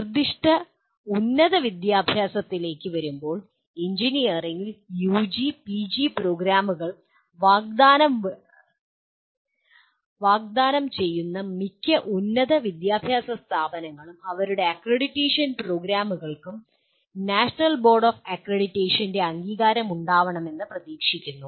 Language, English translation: Malayalam, In coming to the specific higher education, most of higher education institutions offering UG and PG programs in engineering they would expect their programs to be accredited by the National Board of Accreditation